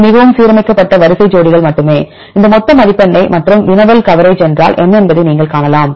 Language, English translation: Tamil, This is only the highly aligned sequence pairs and this is the total score and you can see the coverage what is the query coverage